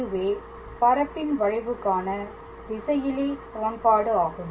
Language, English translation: Tamil, So, this is the scalar equation for a curve in space